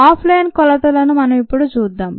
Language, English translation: Telugu, let us look at off line measurements